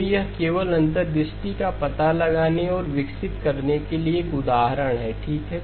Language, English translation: Hindi, Again, this is more of an example just to explore and develop the insights okay